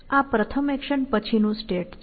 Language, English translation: Gujarati, This is a state after action one